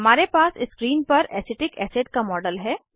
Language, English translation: Hindi, We have a model of Acetic acid on screen